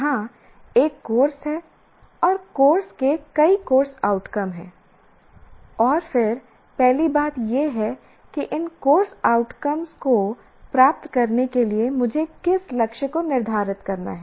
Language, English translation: Hindi, Here is a course and course has several course outcomes and then first thing is to what extent do I have to set up a target for retaining this course outcomes